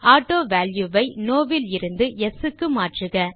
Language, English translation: Tamil, Change AutoValue from No to Yes